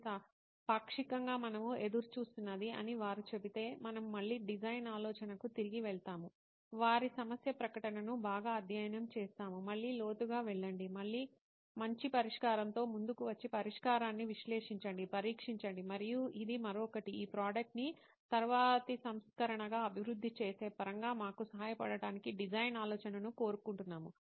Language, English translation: Telugu, If they say this is partially what we were expecting then we again go back to design thinking, study their problem statement well, go deep into the core again, again come up with a better solution, again analyse the solution, test and this is another process of in terms of evolving this product into a next version we would like design thinking to help us out as well in